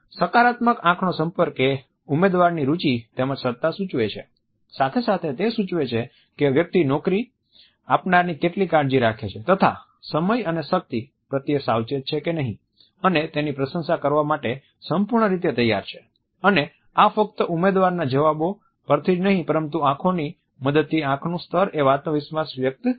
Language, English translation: Gujarati, A positive eye contact suggest interest as well as preparedness on the part of the candidate as well as it also suggest that the person is careful of the employers, time and energy and is fully prepared to appreciate it and this is reflected not only with the help of the answers, but also with the help of eyes eye level conveys confidence